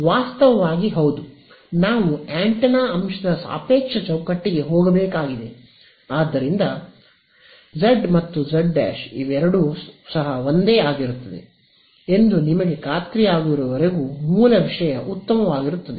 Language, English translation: Kannada, Actually yeah, we have to move to the relative frame of the antenna element, so, even the original thing is fine as long as you are sure that z and z prime are in the same